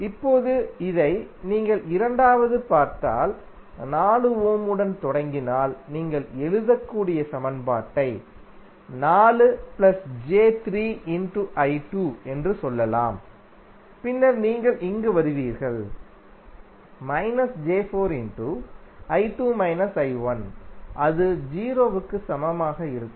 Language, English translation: Tamil, Now, if you see this the second mesh the equation you can write if you start with 4 ohm you can say 4 into I 2 plus 3j into I 2 and then you come here minus 4j into I 2 minus I 1 and that would be equal to 0